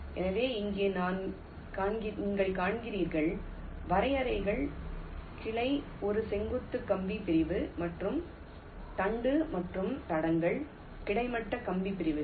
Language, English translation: Tamil, you recall the definitions: branch is a vertical wire segment and trunk and tracks are horizontal wire segments